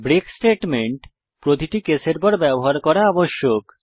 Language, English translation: Bengali, Note that a break statement must be used at the end of each case